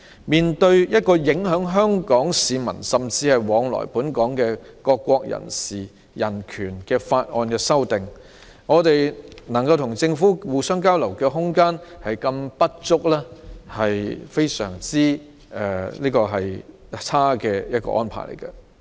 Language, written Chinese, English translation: Cantonese, 面對影響香港市民，甚至是往來本港的各國人士的人權的法例修訂，我們能與政府交流的空間十分不足，這種安排實在非常差勁。, In the face of the legislative amendments affecting the human rights of Hong Kong people and people travelling between Hong Kong and various countries there is very little room for us to have communication with the Government which is a really poor arrangement